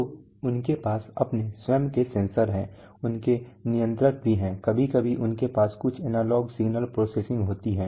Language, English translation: Hindi, So they have their own sensors, they also have controllers sometimes they have some analog signal processing